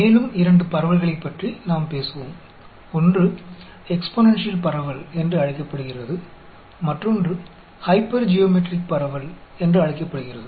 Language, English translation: Tamil, We will talk about two more distributions; one is called the exponential distribution; the other one is called the Hypergeometric distribution